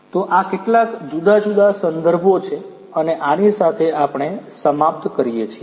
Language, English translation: Gujarati, So, these are some of these different references and with this we come to an end